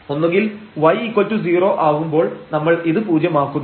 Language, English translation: Malayalam, So, when we compute r, so we need to substitute y to 0 here